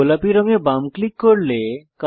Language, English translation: Bengali, Left click the pink color